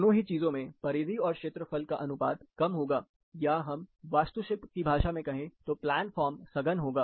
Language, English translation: Hindi, Both of these things will have low perimeter to area ratio, or more compact plan form for in architectural terms